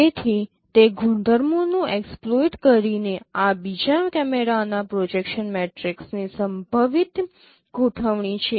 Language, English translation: Gujarati, So by exploiting those properties these are the possible configurations of the projection matrix of the second camera